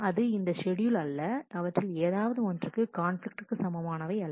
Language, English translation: Tamil, It is not this schedule is not conflict equivalent to either one of them